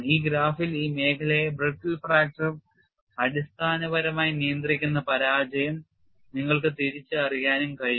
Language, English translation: Malayalam, And on this graph, you could also identified failure basically controlled by brittle fracture in this zone